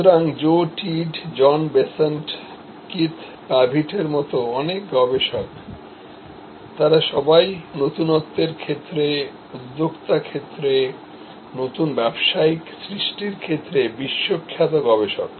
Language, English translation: Bengali, So, many researchers like Joe Tidd, John Bessant, Keith Pavitt, they are all world famous researchers in the field of innovation, in the field of entrepreneurship, in the field of new business creation